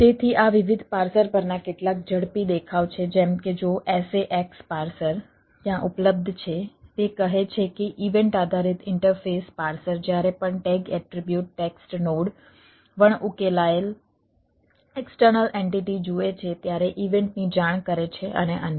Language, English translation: Gujarati, so these are ah some of the quick look at the different parsers, like, if the sax parser is the available there it say: event based interface parser reports event whenever it sees a tag attribute